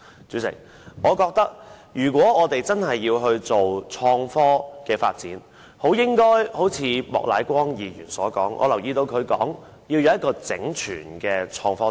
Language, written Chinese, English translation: Cantonese, 主席，如果我們真的要鼓勵創科發展，便應如莫乃光議員所說，要有一套整全的創科政策。, Chairman if we really want to encourage the development of innovation and technology we should have a comprehensive innovation and technology policy as advised by Mr Charles Peter MOK